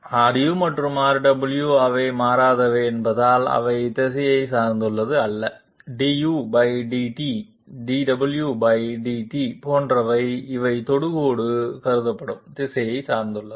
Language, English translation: Tamil, Because R u and R w they are invariant, they do not depend upon the direction, du/ dt dw/dt, et cetera these will be dependent upon the direction in which the tangent is being considered